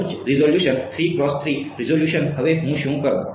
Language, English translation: Gujarati, Higher resolution 3 cross 3 resolution now what do I do